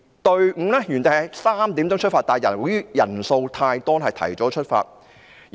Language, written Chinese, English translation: Cantonese, 隊伍原定於下午3時出發，但由於人數太多，便提早出發。, The whole procession was scheduled to begin marching at 3col00 pm but because there were too many people it started out ahead of the schedule